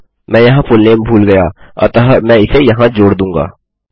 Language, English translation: Hindi, I forgot the fullname here, so Ill add it there